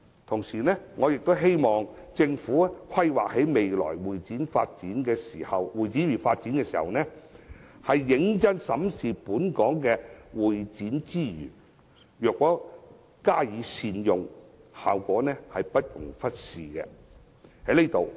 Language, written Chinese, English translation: Cantonese, 同時，我也希望政府在規劃未來的會展業發展時，認真審視本港的會展資源，若能加以善用，效果不容忽視。, At the same time I also hope that the Government will when planning the future development of the CE industry seriously examine Hong Kongs existing CE resources and if such resources can be well utilized the effect cannot be ignored